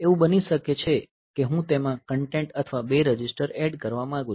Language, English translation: Gujarati, So, it may be that I want to add the content or two registers